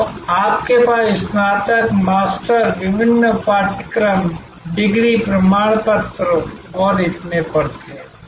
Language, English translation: Hindi, So, you had bachelors, master, different courses, degree certificates and so on